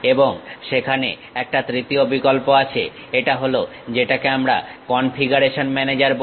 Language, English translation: Bengali, And there is a third one option, that is what we call configuration manager